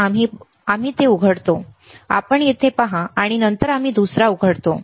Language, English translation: Marathi, So, we open it, you see here and then we open the other one